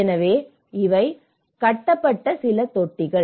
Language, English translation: Tamil, And so, these are some of the tanks which have been constructed